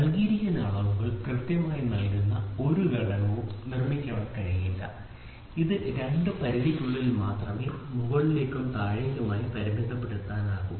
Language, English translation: Malayalam, So, no component can be manufactured precisely to give the given dimensions, it can be only made to lie within two limits which is upper and lower limit